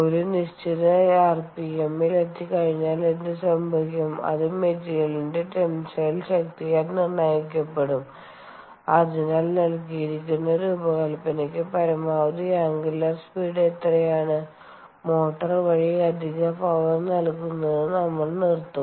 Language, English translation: Malayalam, once it has reached a certain rpm, which will be dictated by by the materials, tensile strength and therefore what is the maximum ah angular speed it can have for a given design, we will stop supplying additional power through the motor